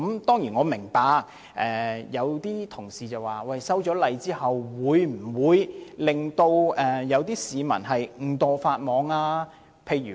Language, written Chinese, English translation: Cantonese, 當然，我明白有些同事關注到修改法例後會否令市民誤墮法網。, Surely I understand that some Members are worried that people may inadvertently break the laws after the amendment of the Ordinance